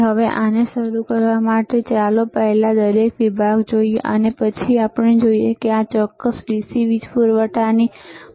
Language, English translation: Gujarati, Now, so to start this one, right, , let us first see each section, and then we see what is the role of this particular DC power supply is;